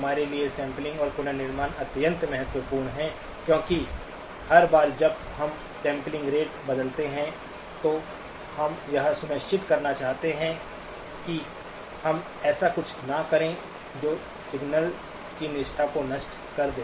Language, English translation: Hindi, For us, sampling and reconstruction are extremely important because every time we change the sampling rate, we just want to make sure that we did not do something that will destroy the fidelity of the signals